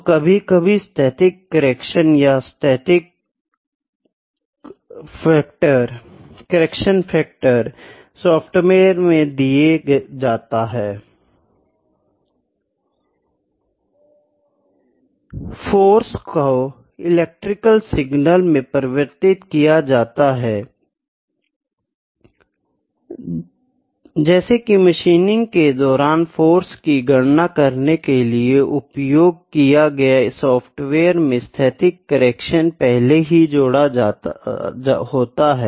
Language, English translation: Hindi, So, sometimes the static correction or the correction, factor is given in the like in the software which I used to calculate the force which is applied during machining